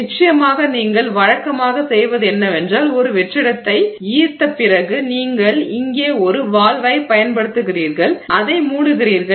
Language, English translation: Tamil, Of course what you normally do is after you draw vacuum you close a valve here